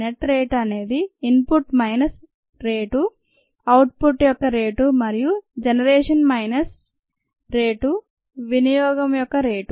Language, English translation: Telugu, the net rate is rate of input minus rate of output, plus rate of generation, minus rate of consumption